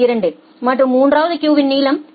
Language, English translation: Tamil, 2 and the third queue has a length of 0